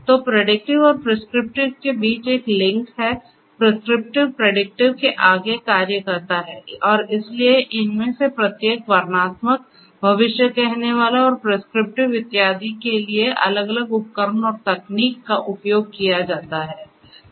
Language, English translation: Hindi, So, there is a link between the predictive and the prescriptive; prescriptive goes beyond what predictive does and so, there are different tools and techniques to be used for each of these descriptive, predictive, prescriptive and so on